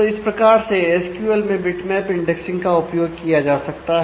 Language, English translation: Hindi, So, this is how bitmap indexing can be used in SQL